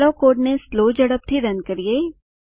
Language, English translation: Gujarati, Let me run the code at slow speed